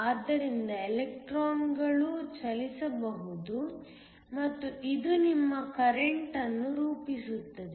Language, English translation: Kannada, So, Electrons can move and this constitutes your current